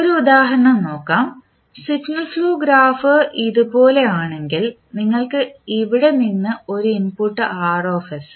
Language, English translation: Malayalam, So, let us take one example say if the signal flow graph is like this where you have from here you have a input say Rs